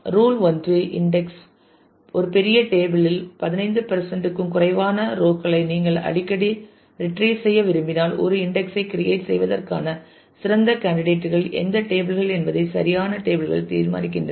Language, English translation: Tamil, Rule 1 index the correct tables decide which tables are best candidates for index to creating an index if you frequently want to retrieve say less than 15 percent of the rows in a large table